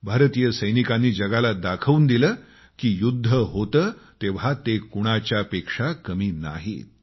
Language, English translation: Marathi, Indian soldiers showed it to the world that they are second to none if it comes to war